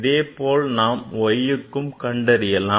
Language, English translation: Tamil, Similarly, for y you can write